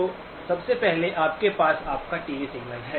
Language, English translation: Hindi, So first one you have your TV signal